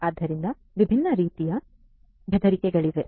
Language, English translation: Kannada, So, there are different types of threats